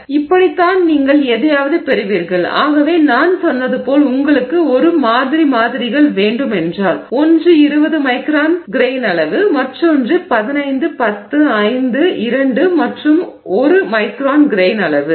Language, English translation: Tamil, So, this is how you will get something and therefore as I said if you want a series of samples, one which is at 20 micron grain size, another at 15 at 10, at 5, at 2, at 1 and so on